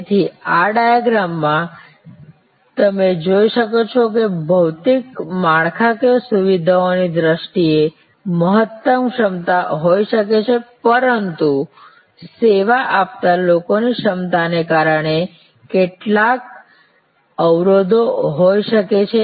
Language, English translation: Gujarati, So, in this diagram as you can see there can be a maximum capacity in terms of the physical infrastructure, but there can be some other constraints due to the capacity of the service people